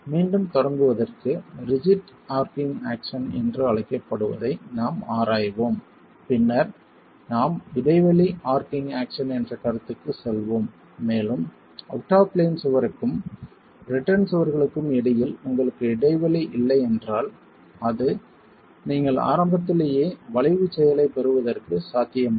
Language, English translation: Tamil, Again to begin with we are examining what is called a rigid arching action and then we will move on to a concept called gaped arching action and there again if you have no gap between the out of plain wall and the return walls then it is possible that you get arching action right at the beginning and that is referred to as rigid arching action